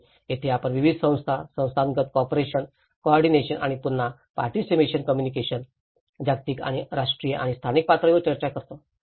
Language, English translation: Marathi, And this is where we talk about different institutional bodies, how institutional cooperation, coordination and again at participation communication, the global and national and local levels